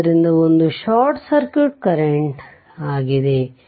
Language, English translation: Kannada, So, that is your what you call short circuit current